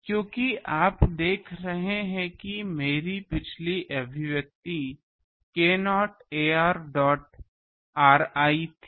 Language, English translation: Hindi, Because, you see my previous expression was this is k not ar dot r i